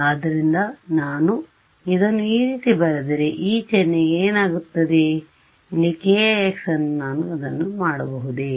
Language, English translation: Kannada, So, if I write it like this, what happens to this sign over here minus k i x why would I do that